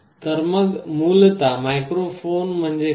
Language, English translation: Marathi, So, essentially what is a microphone